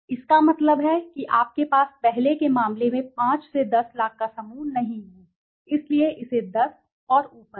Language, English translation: Hindi, That means you do not have the 5 to 10 lakhs group in the earlier case, so it is 0 ,to let say 10 and 10 and above okay